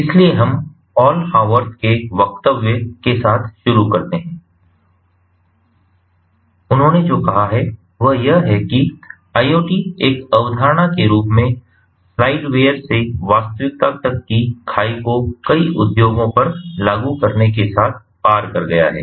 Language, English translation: Hindi, so we start with the quote ah by paul howarth and what he has said is that iot as a concept has crossed the chasm from slide ware to reality, with many industries implementing iot solutions